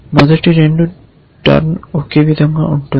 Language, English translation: Telugu, The first 2 will be the same, turn